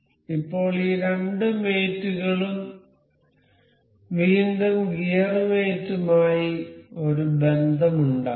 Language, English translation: Malayalam, Now, we will make a relation between these two mate again gear mate